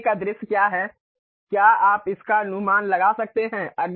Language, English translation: Hindi, What is the front view, can you guess it